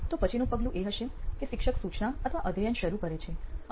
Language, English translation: Gujarati, Then the next step would be the teacher starts instruction or teaching and